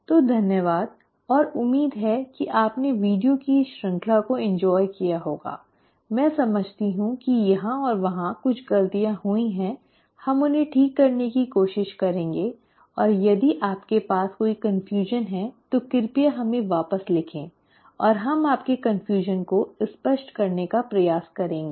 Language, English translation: Hindi, So thank you and hopefully you have enjoyed this series of videos; I do understand there have been a few mistakes here and there, we will try to correct them and if you have any confusions please write back to us and we will try to clarify your confusions